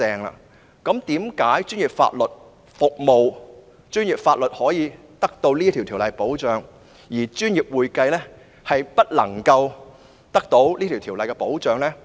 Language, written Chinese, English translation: Cantonese, 為何專業法律獲《法律執業者條例》保障，但專業會計卻未獲《專業會計師條例》保障？, Why is professional legal services protected under the Legal Practitioners Ordinance but professional accounting is not protected under the Ordinance?